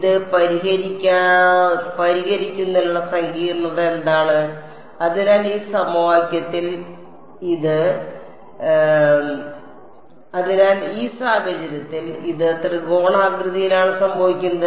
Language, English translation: Malayalam, What is the complexity of solving this, so in this case it happens to be tridiagonal